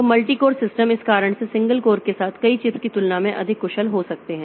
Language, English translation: Hindi, So, multi core systems can be more efficient than multiple chips with single cores because of this reason